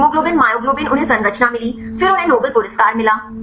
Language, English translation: Hindi, that the hemoglobin myoglobin they got the structure, then they got the nobel prize